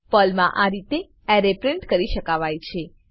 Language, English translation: Gujarati, This is how we can print the array in Perl